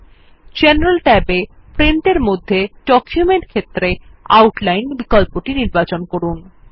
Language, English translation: Bengali, In the General tab, under Print, in the Document field, choose the Outline option